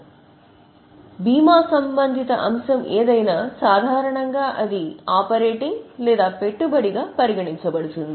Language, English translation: Telugu, So, whatever is a relevant item, normally it is either operating or investing